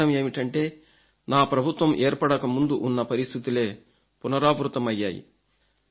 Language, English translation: Telugu, This means that now same situation exists as it was prior to the formation of my government